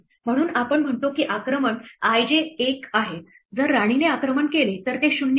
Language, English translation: Marathi, So, we say attack i j is 1, if it is attacked by queen otherwise it is 0